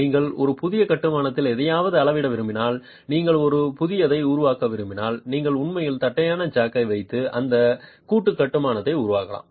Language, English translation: Tamil, If you want to make a new, if you want to measure something in a new construction, you can actually place the flat jack and make the construction of that joint